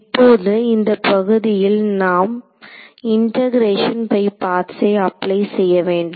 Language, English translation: Tamil, So, now is the part where we will have to apply integration by parts